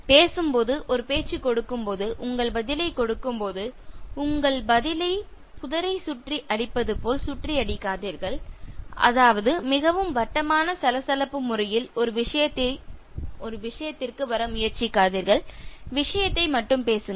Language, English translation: Tamil, While talking, while giving a talk, while giving your answer, response don’t beat around the bush that means don’t try to come to a point in a very circular rambling meandering manner, talk to the point